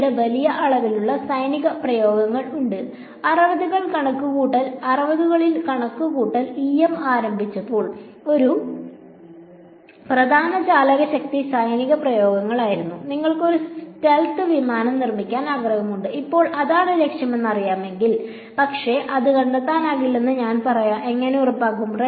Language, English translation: Malayalam, And then there are large amount of military applications so when computational EM started in the 60s, one of the major driving forces were military applications, that you want to make a stealth aircraft it should not be detectable by radar